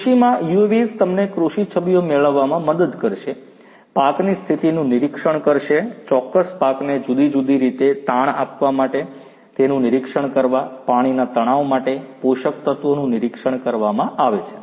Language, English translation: Gujarati, UAVs in agriculture would help you to get agricultural images, monitor the condition of the crops, monitor whether a particular crop is stressed in different ways water stress nutrient stressed